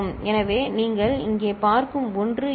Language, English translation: Tamil, So, this is the 1 that you see in here